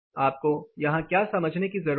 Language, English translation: Hindi, What you need to understand here